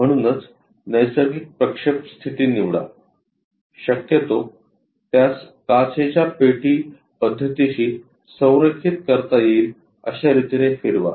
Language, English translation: Marathi, So, pick the natural projection position perhaps slightly turn it in such a way that align with glass box method